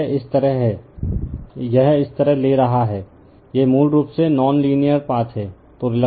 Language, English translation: Hindi, So, it is like this, it is taking like this right so, this is basically your non linear path right